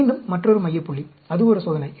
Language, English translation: Tamil, And again, another center point, that is one experiment